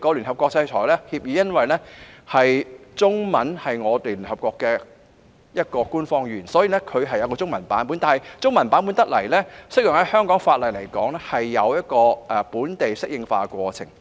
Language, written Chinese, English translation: Cantonese, 由於中文是聯合國的其中一種官方語言，所以制裁協議有中文本；但若要讓這個中文本適用於香港法例，便應該有本地適應化的過程。, Since Chinese is one of the official languages of the United Nations there is a Chinese version for sanction agreements . However if the Chinese version is to be made applicable to the laws of Hong Kong there should be a process of local adaptation